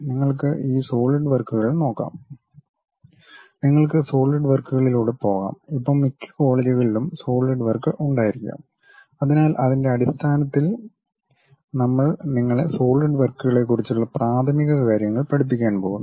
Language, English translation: Malayalam, You can find these solidworks, you can go through solidworks, most of the colleges these days might be having solid work, so, based on that we are going to teach you basic preliminaries on solidworks